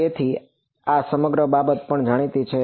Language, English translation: Gujarati, So, this whole thing is also known